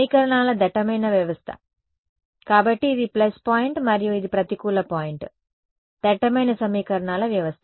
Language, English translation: Telugu, Dense system of equations right; so, this is a plus point and this is a negative point dense system of equations right